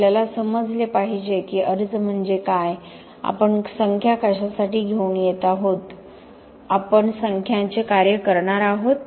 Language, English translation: Marathi, We have to understand what is the application, what are we coming up with numbers for, what we are going to do with the numbers